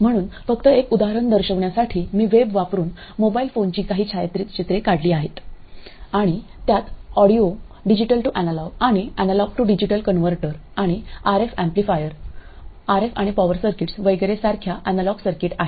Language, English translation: Marathi, So, just to show you an example, I have taken some picture from the web of a mobile phone and it has what are distinctly analog circuits such as audio digital to analog and analog to digital converters and RF amplifiers and so on and RF and power circuits